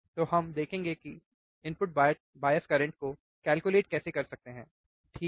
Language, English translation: Hindi, So, we will see the experiment of how we can calculate the input bias current, alright